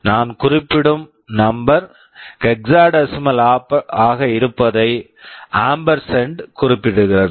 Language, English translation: Tamil, The ampersand indicates that the number I am specifying is in hexadecimal